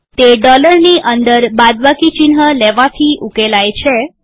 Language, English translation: Gujarati, It is solved by taking the minus sign inside the dollar